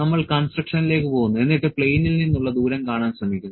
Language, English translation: Malayalam, So, we go to this construction you go to the construction and try to see the distance from the plane